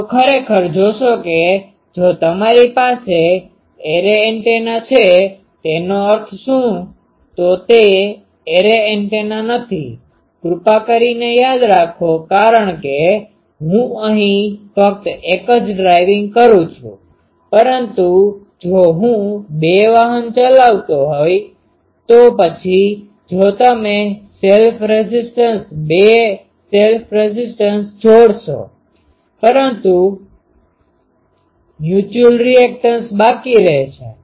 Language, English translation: Gujarati, So, actually will see that if you have, array antenna means what, this is not an array antenna please remember because here am driving only one, but if I drive two, then the if you combine a self impedance, two self impedance together, but the mutual impedance will be left